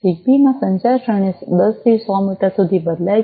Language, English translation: Gujarati, The communication range in ZigBee varies from 10 to 100 meters